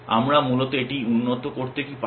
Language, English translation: Bengali, What can we do to improve this essentially